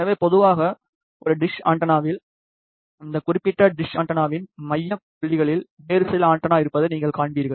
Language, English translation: Tamil, So, generally you will see that a dish antenna has a some another feed antenna at the focal point of this particular dish antenna